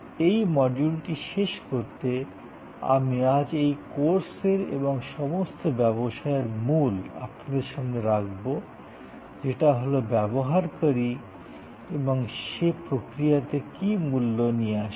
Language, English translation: Bengali, To end this module, I will introduce the key focus of this course and of all businesses today, which is the user and what the user brings to the process